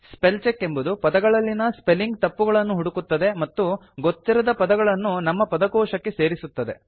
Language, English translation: Kannada, Spellcheck looks for spelling mistakes in words and gives you the option of adding an unknown word to a user dictionary